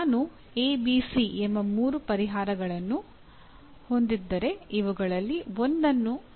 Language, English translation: Kannada, If I have A, B, C three solutions with me, can I select one out of these